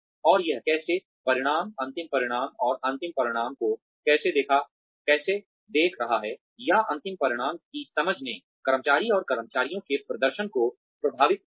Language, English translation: Hindi, And how that, the outcomes, the end result, and how looking at the end result, or an understanding of the end result, influenced the employee and the performance of the employees